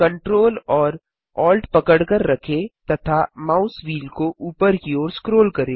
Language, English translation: Hindi, Hold ctrl, alt and scroll the mouse wheel upwards